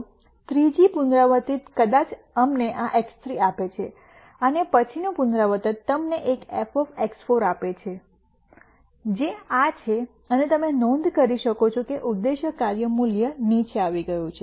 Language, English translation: Gujarati, The third iteration maybe gives us this X 3 and then the next iteration gives you an f X 4 value which is this and you can notice that the objective function value has come down